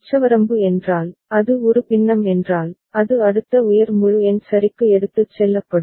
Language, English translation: Tamil, Ceiling means, if it is a fraction, it will be taken to the next higher integer ok